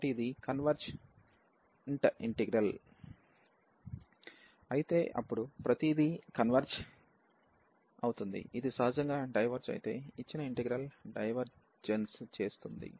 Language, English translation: Telugu, So, if it is a convergent integral, then everything will converge; if it diverges naturally, the given integral will diverge